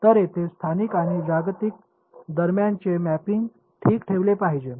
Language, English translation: Marathi, So, these are this mapping between local and global should be maintained ok